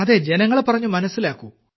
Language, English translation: Malayalam, Yes, make the people understand